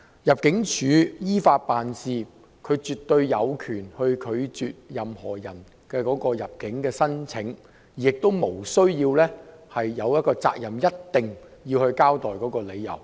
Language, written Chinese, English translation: Cantonese, 入境處依法辦事，絕對有權拒絕任何人的入境申請，亦無責任一定要交代理由。, ImmD acting in accordance with the law absolutely has the right to refuse the entry of any person and is not obliged to give a reason